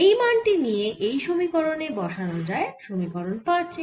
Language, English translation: Bengali, you can put this equation, this equation, equation five